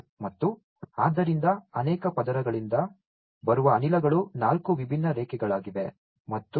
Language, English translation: Kannada, And so the gases that are coming from the many fold there are four different lines